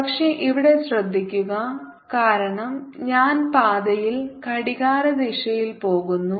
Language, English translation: Malayalam, but notice that because i am going along the counter, along counter clockwise the path